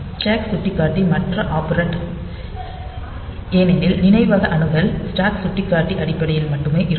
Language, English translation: Tamil, And the stack pointer is the other operand so, because the memory access will be in terms of the stack pointer only